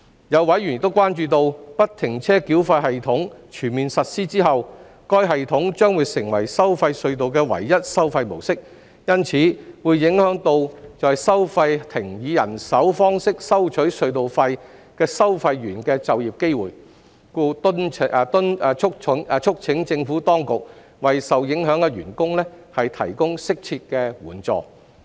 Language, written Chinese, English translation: Cantonese, 有委員關注到，不停車繳費系統全面實施後，該系統將會成為收費隧道的唯一收費模式，因此會影響到在收費亭以人手方式收取隧道費的收費員的就業機會，故促請政府當局為受影響員工提供適切的援助。, Some members have been concerned that the employment of the toll collectors who collect tolls manually at toll booths will be affected as a result of FFTS becoming the only toll collection mode for tolled tunnels after its full implementation . Therefore they have urged the Administration to provide appropriate support for employees who have been affected